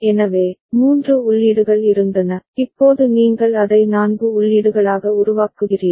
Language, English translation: Tamil, So, there were three inputs, now you are making it four inputs